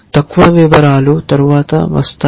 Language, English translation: Telugu, The lower details come later